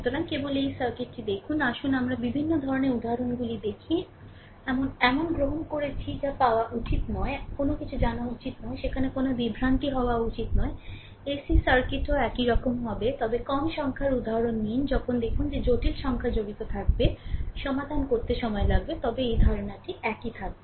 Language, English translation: Bengali, So, just look at this circuit, let us look varieties of examples, we have taken such that you should not get, you should not be any you know you; there should not be any confusion ac circuit also similar thing will be there, but we take less number of examples when you see that because complex number will involve, it takes time to solve right, but concept will remain same